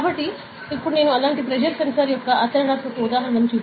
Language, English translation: Telugu, So, now I will be showing a practical example of one pressure sensor like that